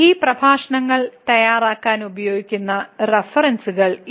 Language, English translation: Malayalam, So, these are the references used for preparing these lectures and